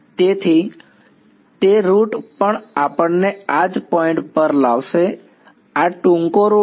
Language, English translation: Gujarati, So, that route would also bring us to this same point this is the shorter route